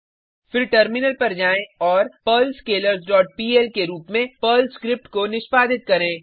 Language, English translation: Hindi, Then switch to terminal and execute the Perl script as perl perlHash dot pl and press Enter